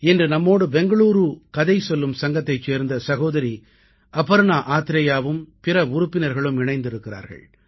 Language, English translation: Tamil, Today, we are joined by our sister Aparna Athare and other members of the Bengaluru Storytelling Society